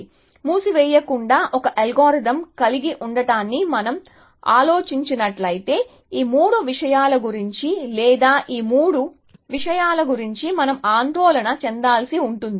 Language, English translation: Telugu, So, if we are going to think of having an algorithm without closed, then we would have to worry about, these three issues or these three things that closes doing for us essentially